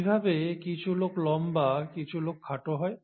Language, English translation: Bengali, And how is it that some people are taller, while some people are shorter